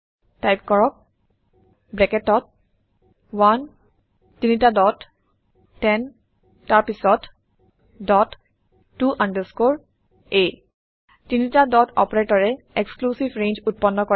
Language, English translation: Assamese, Type Within brackets 1 three dots 10 then dot to underscore a Three dot operator creates an exclusive range